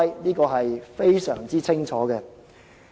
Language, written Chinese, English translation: Cantonese, 這點非常清楚。, This point is crystal clear